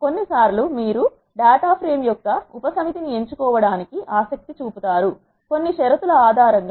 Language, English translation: Telugu, Sometimes you will be interested in selecting the subset of the data frame; based on certain conditions